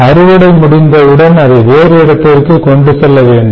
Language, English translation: Tamil, then, once the crop is harvested, you need to transport it somewhere